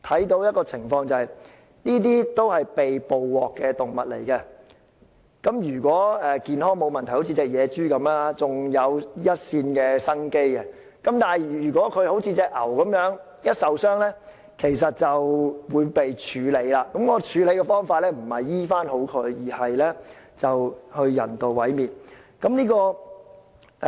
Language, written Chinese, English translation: Cantonese, 這些都是被捕獲的動物，如果健康沒有問題，像野豬一樣尚有一線生機，但如果像那隻黃牛一樣，一旦受傷便會被處理，而處理的方法不是醫治，而是人道毀滅。, Both animals were trapped . If an animal has no health issues like the wild pig it will still have a chance of survival but if the animal is injured as in the case of the brown cattle it will be dealt with immediately not by treatment but by euthanasia